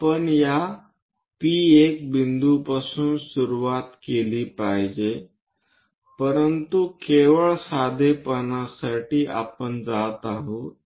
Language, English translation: Marathi, We should begin from this P1 point, but just for simplicity, we are going